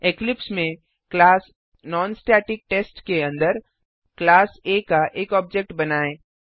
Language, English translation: Hindi, Inside class NonStaticTest in Eclipse let us create an object of the class A